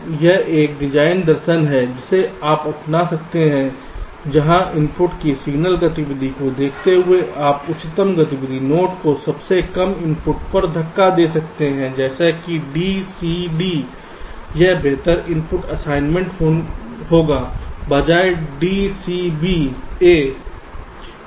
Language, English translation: Hindi, so this is one design philosophy you can adopt where, looking at the signal activity of the input, you can push the highest activity node to the lowest input, like here: a, b, c, d will be a better input assignment rather than d, c, b, a